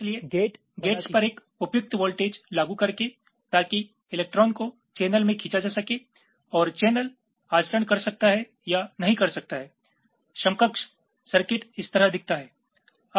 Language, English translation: Hindi, so by applying a suitable voltage on the gates, so electrons can be drawn into the channel and the channel can conduct or not conduct equivalence circuits